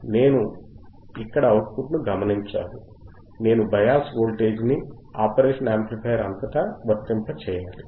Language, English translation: Telugu, I hadve to observe the output from here, right I hadve to apply the bias voltage across the across the operation amplifier alright